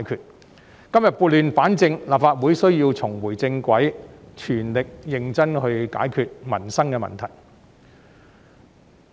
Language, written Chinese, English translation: Cantonese, 我們今天撥亂反正，立法會需要重回正軌，全力認真地解決民生問題。, Today we dispel the chaos and restore the order . The Legislative Council needs to get back on the right track to make all - out and serious efforts to resolve livelihood issues